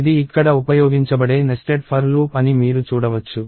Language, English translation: Telugu, You can see that, it is a nested for loop that is used here